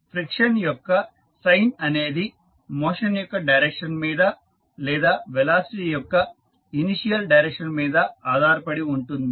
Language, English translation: Telugu, The sign of friction depends on the direction of motion or the initial direction of the velocity